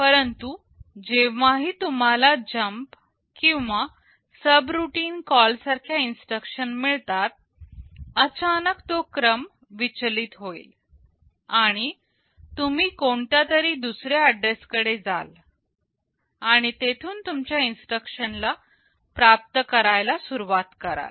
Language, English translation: Marathi, But, whenever you have some instructions like jump or a subroutine call, suddenly that sequence will be disturbed, and you will be going to some other address and from there you will be starting to fetch your instructions